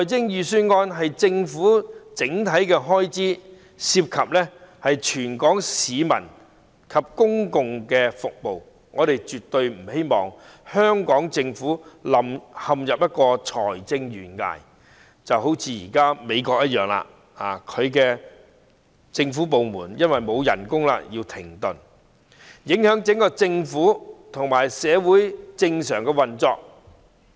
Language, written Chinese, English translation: Cantonese, 預算案是政府整體的開支，涉及全港市民及公共服務，我們絕不希望香港政府陷入財政懸崖——就如現時的美國，其政府部門因為不獲撥款而要停止運作——影響整個政府和社會的正常運作。, The budget is the Governments overall expenditure involving all the people of Hong Kong and public services . We absolutely do not wish to see the Hong Kong Government fall down a fiscal cliff―as in the present case of the United States where the government departments have to suspend operation because funding has not been granted―affecting the normal operation of the whole Government and society